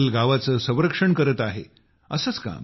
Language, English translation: Marathi, Today this forest is protecting this village